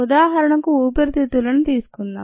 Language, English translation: Telugu, for example, let us take the lung